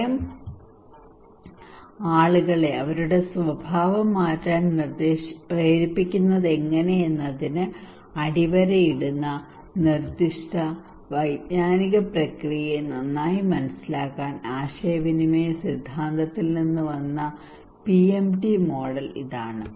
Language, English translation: Malayalam, This one the PMT model, that came from the communications theory to better understand the specific cognitive process underlying how fear appeals motivate people to change their behaviour